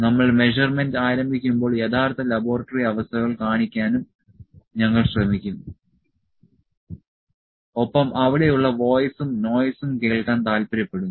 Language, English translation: Malayalam, We will also try to show you the actual laboratory conditions when we will start the measurement and like to hear the voice and the noise there as well